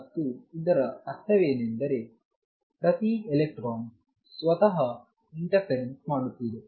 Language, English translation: Kannada, And what that means, is that each electron is interfering with itself